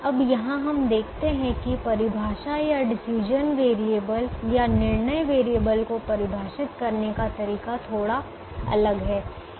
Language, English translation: Hindi, now here we observe that the definition or the way the decision variable is defined is a little different